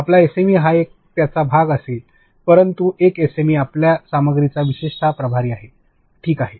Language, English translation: Marathi, Your SME is a part of it, but an SME is in charge of your content specifically